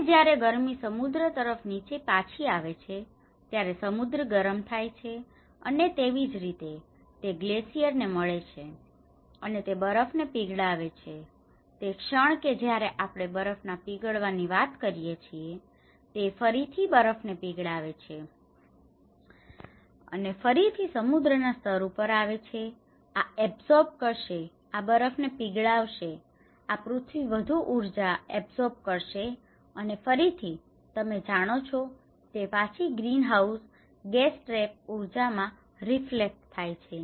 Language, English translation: Gujarati, And when the heat is coming down to the oceans, the oceans are getting warmer and similarly, it gets to the glaciers and it melts the snow, and the moment when we talk about the melting of snow, it again raises to the sea level, and this absorbs; this melting of snow and ice, this is earth absorbs more energy and again, you know it is reflected back into this, greenhouse gas trap energy